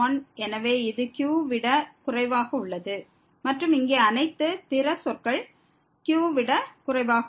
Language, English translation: Tamil, So, this is less than and all other terms here less than